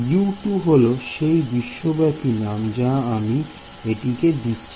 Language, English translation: Bengali, U 2 is the global name I am giving to it